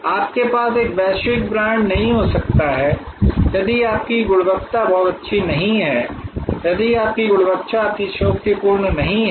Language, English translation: Hindi, You cannot have a global brand, if your quality is not very good, if your quality is not superlative